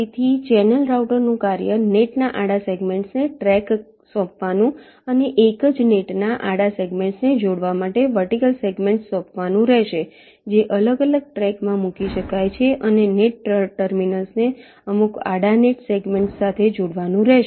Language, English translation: Gujarati, so the task of the channel router will be to assign the horizontal segments of net to tracks and assign vertical segments to connect the horizontal segments of the same net, which which maybe placed in different tracks, and the net terminals to some of the horizontal net segments